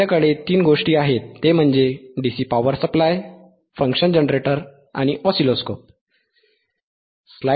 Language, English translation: Marathi, 3 things ,we have DC power supply, function generator, and oscilloscope